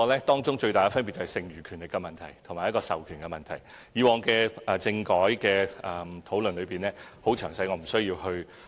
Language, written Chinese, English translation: Cantonese, 當中最大分別便是剩餘權力及授權問題，以往在政改的討論中已詳細闡述，我便不需要多說。, The main difference lies in the residual power and delegation of power which has been explained in detail in previous constitutional reform discussions and I am not going to give further explanation here